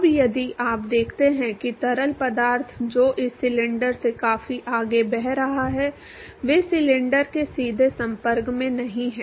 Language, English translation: Hindi, Now if you look at the fluid which is flowing well past this cylinder they are not in direct contact with the cylinder at all